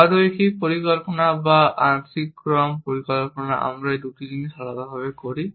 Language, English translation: Bengali, In nonlinear planning or partial order planning, we do these two things separately